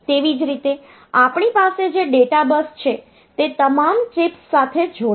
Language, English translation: Gujarati, So, data bus will connect to all the chips